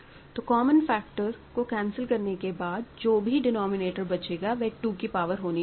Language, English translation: Hindi, So, after you cancel the common factors, what remains; denominator of what remains should be a power of 2